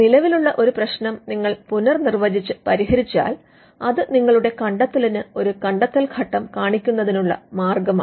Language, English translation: Malayalam, If you redefine an existing problem and solve it; that is yet another yet another way to show that your invention involves an inventive step